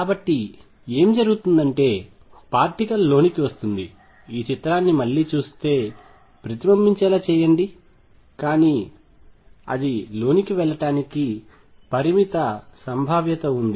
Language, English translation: Telugu, So, what would happen is particle would come in let me make this picture again would come in get reflected, but there is a finite probability that will go through